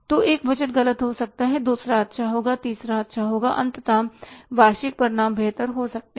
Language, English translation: Hindi, So, one budget goes wrong, second will do well, third will do well, ultimately the annual results can be improved